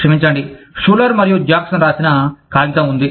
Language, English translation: Telugu, Sorry, there is a paper, by Schuler and Jackson